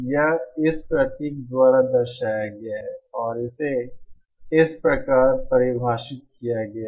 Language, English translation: Hindi, That is represented by this symbol and it is defined as like this